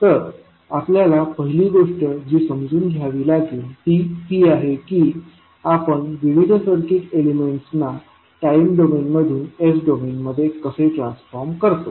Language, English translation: Marathi, So, first thing which we have to understand is that how we can convert the various circuit elements from time domain into s domain